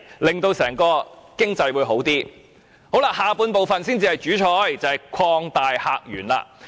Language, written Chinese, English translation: Cantonese, 議案的第二部分才是"主菜"，就是"擴大客源"。, The second part of the motion―opening up new visitor sources―is the main course